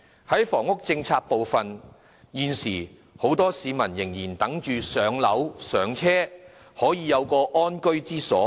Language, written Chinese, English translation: Cantonese, 在房屋政策方面，現時很多市民仍在等待"上樓"、"上車"，可以有一個安居之所。, With regard to the housing problem a lot of people are still waiting for public housing allocation or a chance to achieve home ownership so that they can secure a comfortable home